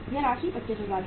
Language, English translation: Hindi, This amount is 25000